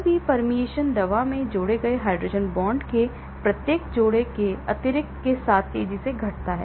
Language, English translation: Hindi, BBB permeation decreases exponentially with the addition of each pair of hydrogen bonds added to the drug